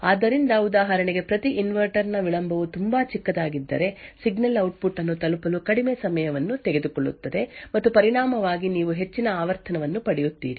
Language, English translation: Kannada, So, for example, if the delay of each inverter present is a very short then the signal would take a shorter time to reach the output and as a result you will get a higher frequency